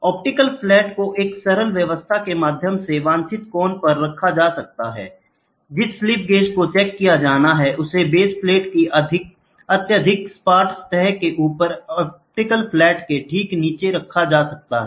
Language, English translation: Hindi, The optical flat can be positioned at a desired angle by means of simple arrangement, the slip gauge that is to be checked is kept right below the optical flat on top of highly flat surface of the base plate